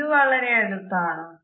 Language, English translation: Malayalam, Is this too close